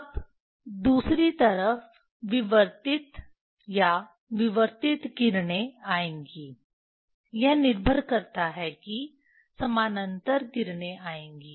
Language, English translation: Hindi, Now, other side diffracted or diffracted rays will come is depends up parallel rays will come